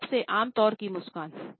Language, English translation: Hindi, Six most common types of smile